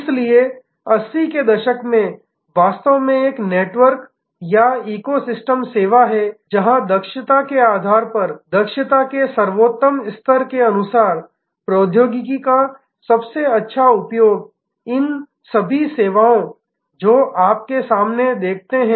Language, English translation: Hindi, So, in the 80’s actually a network or eco system of service, where according to competence core competence according to the best level of expertise best use of technology the all these services, that you see in front of you